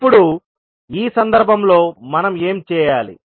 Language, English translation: Telugu, Now, in this case what we have to do